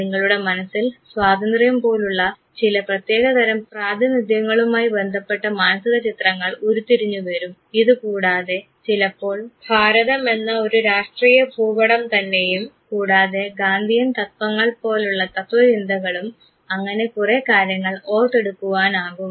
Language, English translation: Malayalam, You have derived certain type of a mental images of a certain type of representations like, freedom you derive you might even derive the political map of a country called India you might have recollection of philosophy that is now called as Gandhian philosophy whole lot of things gets recollected